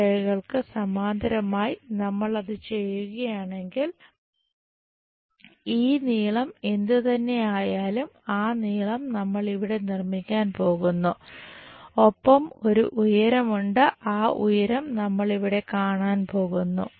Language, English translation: Malayalam, If we do that parallel to these lines, we are going to construct whatever this length we have that length here, and there is a height that height we are going to see here